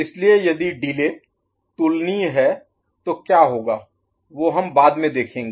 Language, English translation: Hindi, So if the delay is comparable, what will happen